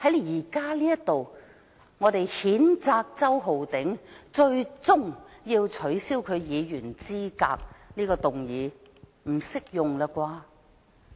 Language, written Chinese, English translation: Cantonese, 現在我們要譴責周浩鼎議員，最終要取消他的議員資格，這個理由不適用了吧？, We are going to censure Mr Holden CHOW with the ultimate aim of disqualifying him from office . The above reason concerning a short tenure does not apply anymore right?